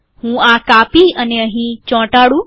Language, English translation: Gujarati, Let me copy this and paste this